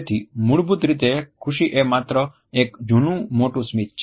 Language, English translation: Gujarati, So, basically happiness is just a big old smile